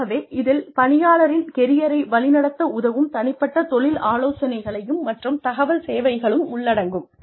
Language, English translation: Tamil, So, this includes, individual career counselling and information services, that can help, direct the career of the employee